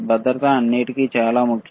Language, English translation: Telugu, Safety is extremely important all right